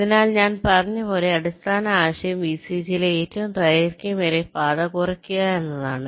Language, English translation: Malayalam, so, as i have said, the basic idea is to try and minimize the longest path in the vcg